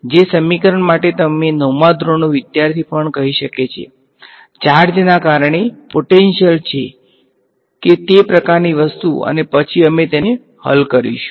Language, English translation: Gujarati, The equation for which you know a class 9th student can tell you , potential due to a charge that that kind of a thing and then we will solve it